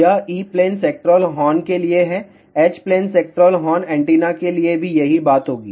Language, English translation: Hindi, This is for E plane sectoral horn, same thing will happen for H plane sectoral horn antenna